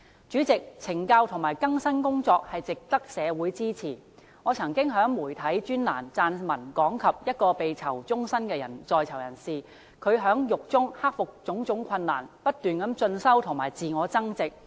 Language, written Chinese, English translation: Cantonese, 主席，懲教及更生工作值得社會支持，我曾經在媒體專欄撰文講及一位被判囚終身的人士在獄中克服種種困難，不斷進修及自我增值。, President correctional services and rehabilitation programmes should be supported by the community . I once wrote in a media column about the experience of an inmate . Though being sentenced to life imprisonment the inmate worked hard in prison and overcame all difficulties to pursue continuous studies for self - enhancement